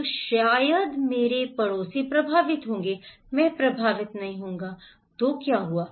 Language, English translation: Hindi, So, maybe my neighbours will be affected, I will not be affected, so what happened